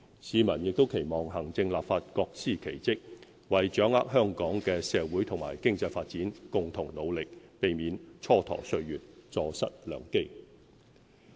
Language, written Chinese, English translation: Cantonese, 市民亦期望行政立法各司其職，為掌握香港的社會和經濟發展共同努力，避免蹉跎歲月、坐失良機。, The community expects the Executive Authorities and the legislature to perform their respective functions and waste no time or opportunity in jointly promoting Hong Kongs social and economic development